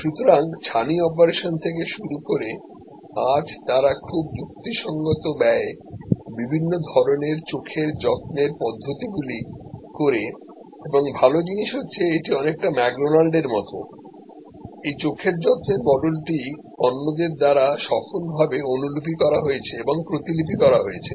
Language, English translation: Bengali, So, starting from cataract surgery today they cover a large number of different types of eye care procedures at a very reasonable cost and the good thing it is just like McDonald's, this eye care model has been successfully replicated adopted and replicated by others